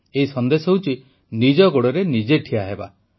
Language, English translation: Odia, This message is 'to stand on one's own feet'